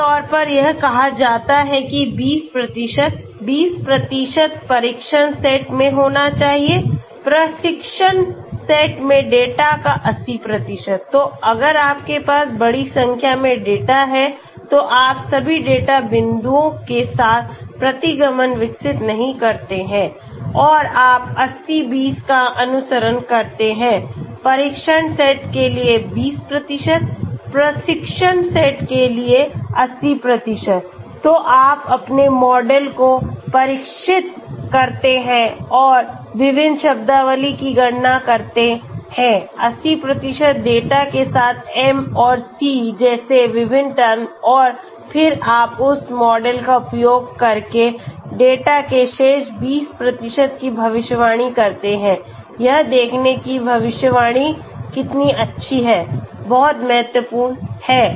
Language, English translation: Hindi, Generally this say 20%, 20% should be in the test set, 80% of the data in the training set, so If you have large number of data you just do not develop regression with all the data points and you follow the 80, 20 20% for test set, 80% for training set, so you train your model and calculate the various terminologies, various terms like m and c with 80% of the data and then you predict the remaining 20% of the data using that model to see how good the prediction is okay that is very, very important